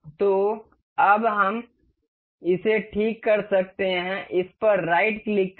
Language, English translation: Hindi, So, now, we can fix this one right click on this, fixed